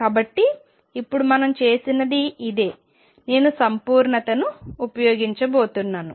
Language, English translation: Telugu, So, this is what we have done now I am going to use completeness